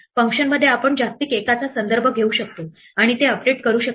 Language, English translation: Marathi, Within a function we can implicitly refer to the global one and update it